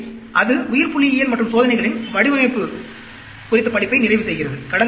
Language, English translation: Tamil, So, that completes the course on biostatistics and design of experiments